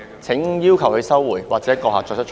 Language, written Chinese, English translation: Cantonese, 請要求他收回，或閣下作出裁決。, Please ask him to withdraw them or make your ruling